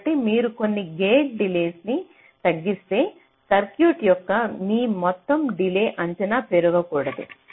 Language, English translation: Telugu, so if you reduce some of the gate delays, your total delay estimate of the circuit should not increase